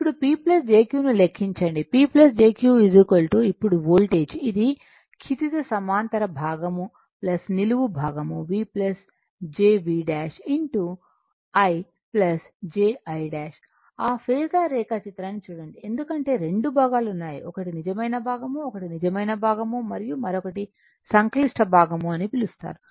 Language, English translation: Telugu, Now; that means, we calculate P we , your what you call P plus jQ is equal to now voltage is equal to you have this is horizontal component plus vertical component V plus jV dash into I plus j I dash look at that phasor diagram because, you have 2 component one is real component, one is real component and another is your ah your what you call complex your this thing; however, it, but horizontal one is vertical